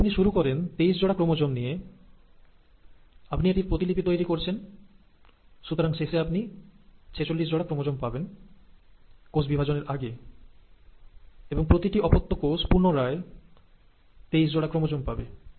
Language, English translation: Bengali, If you are starting with twenty three pairs of chromosome, you are duplicating it, so you end up having fourty six pairs, right before the cell division, and then each daughter cell again ends up getting twenty three pairs